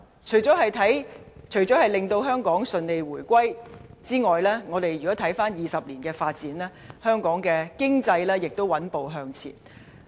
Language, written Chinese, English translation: Cantonese, 除了香港順利回歸外，回顧20年的發展，可發現香港的經濟亦穩步向前。, Apart from the smooth reunification of Hong Kong in review of its development over the past two decades we can see that Hong Kongs economy has been advancing forward steadily